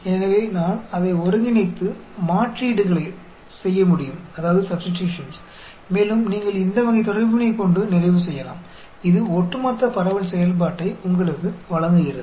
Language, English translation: Tamil, So, I can integrate it and do the substitutions, and you can end up having this type of relationship; that gives you the cumulative distribution function